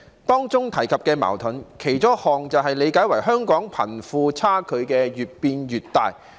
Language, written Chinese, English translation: Cantonese, 當中提及的矛盾，其中一項可理解為香港貧富差距越變越大。, Speaking of conflicts something that this requirement refers to the widening disparity between the rich and the poor in Hong Kong may be understood as one of them